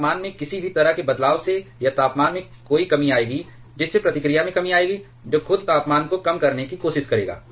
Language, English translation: Hindi, That is any change in temperature any rise in temperature here will cause a reduction in reactivity which itself will try to reduce the temperature